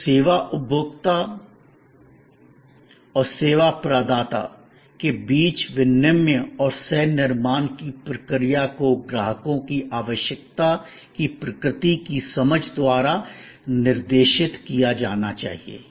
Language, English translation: Hindi, So, the process of exchange and co creation between the service consumer and the service provider must be guided by the understanding of the nature of customers need